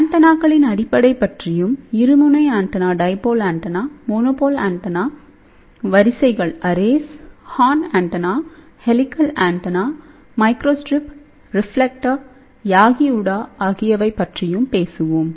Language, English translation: Tamil, So, we will talk about fundamentals of antennas dipole antenna monopole antenna arrays horn antenna helical antenna microstrip reflector yagi uda